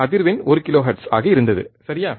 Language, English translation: Tamil, Frequency was one kilohertz, correct